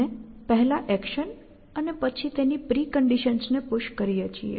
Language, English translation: Gujarati, So, you push an action and we push the pre conditions of the action